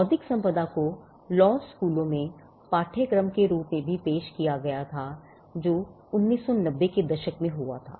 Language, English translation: Hindi, Intellectual property also was introduced as a syllabus in law schools that happened in the 1990s